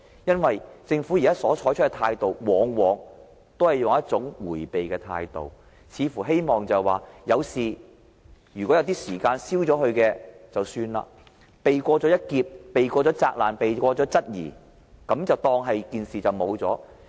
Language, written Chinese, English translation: Cantonese, 現時，政府往往採用迴避的態度，希望在有事發生時，任由時間沖淡記憶，便可避過一劫、避過責難、避過質疑，當作沒一回事。, The Government very often adopts an evasive attitude in the face of crisis . It simply hopes that the crisis will fade into oblivion after some time and thereby saving itself from a calamity from getting reprimanded and interrogated and then it can act as if the crisis has never happened